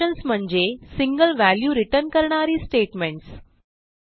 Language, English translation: Marathi, Functions are statements that return a single value